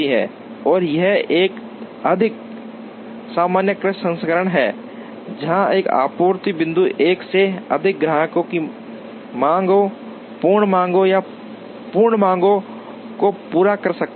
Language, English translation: Hindi, And this is a more generalized version, where a supply point can meet the demands, part demands or full demands of more than one customer